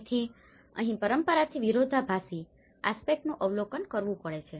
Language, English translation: Gujarati, So this is where a contradicting aspects one has to observe from the tradition